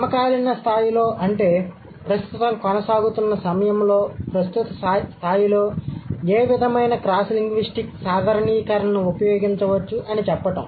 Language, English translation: Telugu, So, we are trying to find out what is, how, what sort of cross linguistic generalization can be drawn at the current level, at the present time, at the ongoing time